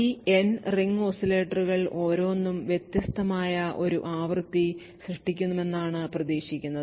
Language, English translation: Malayalam, Therefore what is expected is that each of these N ring oscillators would produce a frequency that is different